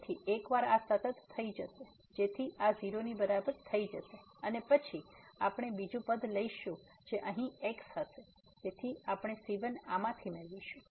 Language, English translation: Gujarati, So, once we this is a constant so this will be equal to 0 and then we take the second term which will be having here there so we will get the out of this